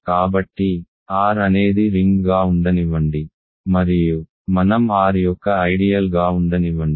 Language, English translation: Telugu, So, let R be a ring and let I be an idea of R